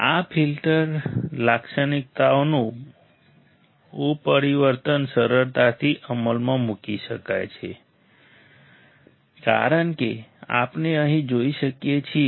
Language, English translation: Gujarati, The transformation of this filter characteristics can be easily implemented as we can see here right